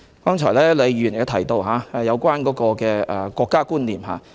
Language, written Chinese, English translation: Cantonese, 剛才李慧琼議員亦提到國家觀念。, Just now Ms Starry LEE also mentioned the concept of nation